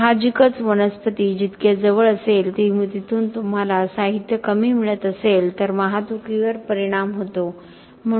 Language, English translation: Marathi, Obviously the closer the plant is to wherever you are getting the material from less is the impact of transportation